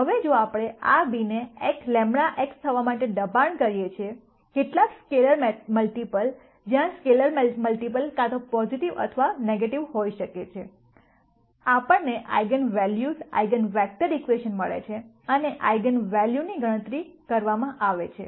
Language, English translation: Gujarati, Now if we force this b to be lambda x some scalar multiple of x itself, where the scalar multiple could be either positive or nega tive, we get the eigenvalue eigenvector equation and to calculate the eigenvalue